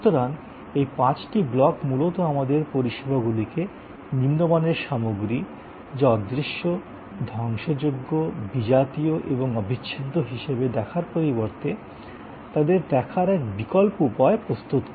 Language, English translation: Bengali, So, these five blocks mainly provide us an alternative way of looking at services rather than looking at it in a traditional way as a set of inferior class of goods, which are intangible and perishable and heterogeneity and inseparable, etc